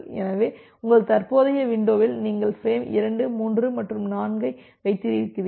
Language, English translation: Tamil, So, in your current window you had the frame 2, 3 and 4